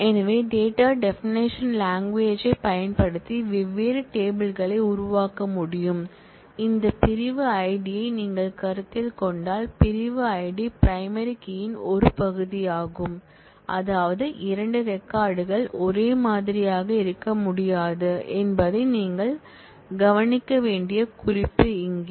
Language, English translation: Tamil, So, this is how different tables can be created using the data definition language, here is a note that you should observe that if you consider this section ID, the section ID is a part of the primary key which means that 2 records cannot be same, if they are different in the section ID, then such records are allowed